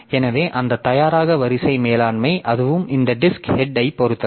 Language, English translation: Tamil, So, that ready queue management so that will also be dependent on this disk